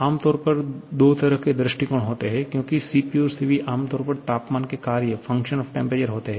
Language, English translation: Hindi, There are generally two kinds of approaches because Cp and Cv generally functions of temperature